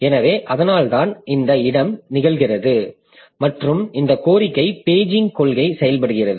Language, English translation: Tamil, So, that's why this locality happens and this demand paging policy works